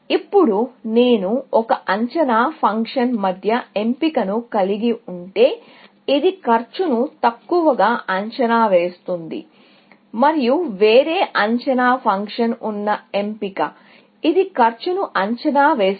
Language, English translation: Telugu, Now, if I had a choice between an estimating function, which underestimates a cost, and a choice with a different estimation function, which over estimates the cost